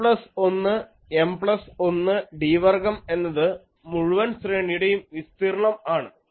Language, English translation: Malayalam, Now, we can say that N plus 1 into M plus 1 into d square that is the area of the whole array, so 8